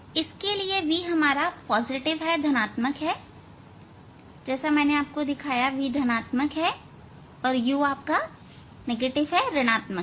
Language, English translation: Hindi, In this case v is positive as I as I showed you v is positive v is positive and u is negative